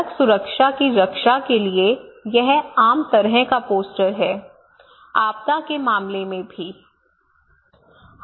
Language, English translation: Hindi, It is very kind of common poster to protect road safety same in case of disaster also